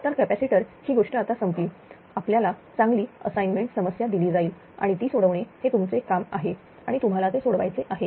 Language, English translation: Marathi, So, capacitor thing is over good assignment problem will be given to you right and your job is to solve those things have patience and you have to solve those things right